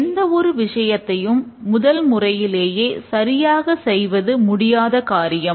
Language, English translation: Tamil, It is impossible to get it right the first time